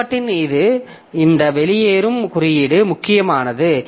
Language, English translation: Tamil, So, this exit the exit code of the process becomes important